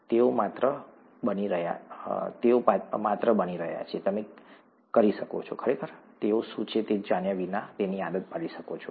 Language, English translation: Gujarati, They are just being, you can, kind of get used to it without really knowing what they are